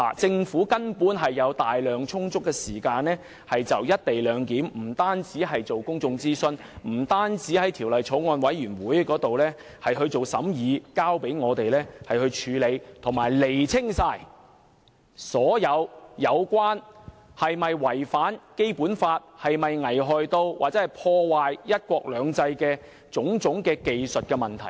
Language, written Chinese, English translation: Cantonese, 政府根本有充足時間，就"一地兩檢"進行公眾諮詢，讓法案委員會審議《條例草案》，以及釐清所有有關"一地兩檢"是否違反《基本法》、是否危害或破壞"一國兩制"的問題。, The Government basically has sufficient time to conduct a public consultation on the co - location arrangement allow the Bills Committee to scrutinize the Bill and clarify all such matters as whether the co - location arrangement has infringed the Basic Law and whether it would cause harm or undermine one country two systems